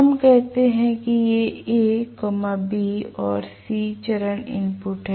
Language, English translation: Hindi, Let us say these are a, b, and c phase inputs